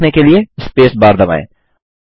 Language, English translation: Hindi, To continue, lets press the space bar